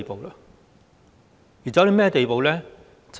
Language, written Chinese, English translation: Cantonese, 現在是甚麼地步呢？, What have we come to now?